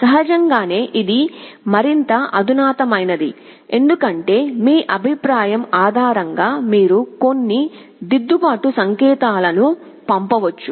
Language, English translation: Telugu, Naturally, this is more sophisticated because, based on the feedback you can send some corrective signal